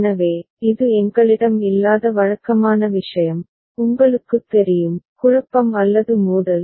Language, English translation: Tamil, So, this is the usual thing where we have no, you know, confusion or conflict